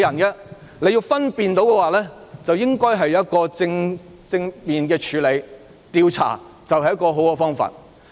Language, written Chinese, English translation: Cantonese, 如果要分辨的話，便應正面處理，而調查便是最好的方法。, In order to make a distinction a positive approach should be adopted and an investigation is the best way